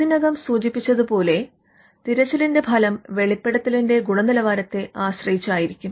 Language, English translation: Malayalam, The search result as we have already mentioned, will be dependent on the quality of the disclosure